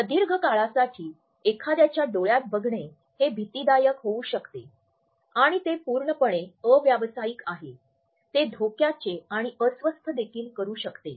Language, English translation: Marathi, Looking someone in the eyes for a prolonged period may become creepy and it is absolutely unprofessional, it can even become threatening and uncomfortable